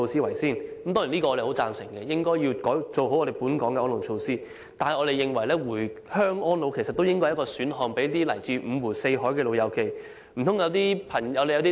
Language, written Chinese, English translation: Cantonese, 我們當然十分贊成當局應先改善本港的安老措施，但我們認為，回鄉安老也是為來自五湖四海的朋友提供的一個選項。, Certainly we strongly agree that the authorities should first improve elderly care measures in Hong Kong; but then we think that living in hometowns during twilight years is also an option for people from different places of origin